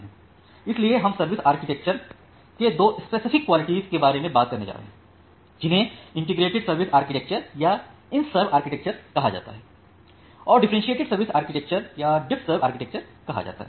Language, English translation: Hindi, So, we are going to talk about two specific quality of service architectures called integrated service architecture or IntServ architecture or that under differentiated service architecture or DiffServ architecture